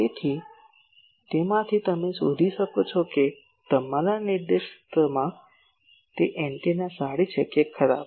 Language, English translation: Gujarati, So, from that you can find out that whether that antenna is good or bad at your directed one